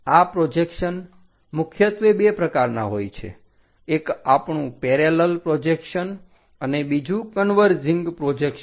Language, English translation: Gujarati, This projections are mainly two types, one our parallel projections other one is converging projections